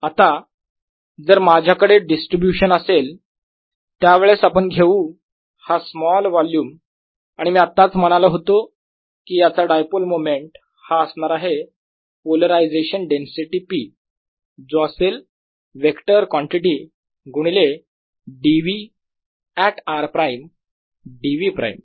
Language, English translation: Marathi, let's take this small volume and i just said that the dipole moment of this is going to be the polarization density: p, which is a vector quantity times d v at r prime d v prime